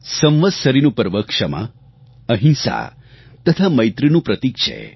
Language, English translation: Gujarati, The festival of Samvatsari is symbolic of forgiveness, nonviolence and brotherhood